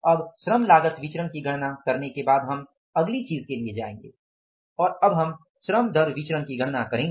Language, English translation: Hindi, Now after calculating the labor cost variance we will go for the next thing and we will calculate now the labor rate of the pay variance